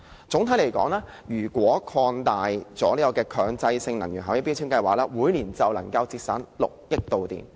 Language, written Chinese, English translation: Cantonese, 總的來說，如果擴大強制性標籤計劃，每年便能夠節省6億度電。, In conclusion if the scope of MEELS is extended we can achieve annual electricity saving of 600 million kWh